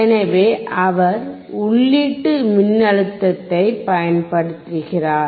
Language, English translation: Tamil, So, he is applying the input voltage